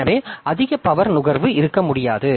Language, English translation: Tamil, So, we cannot have high power consumption